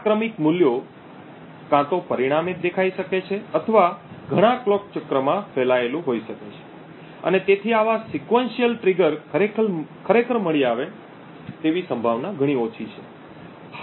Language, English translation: Gujarati, The reason being that these sequential values could either appear consequently or could be spread over several clock cycles and therefore the probability that that such a sequential trigger is actually detected is much smaller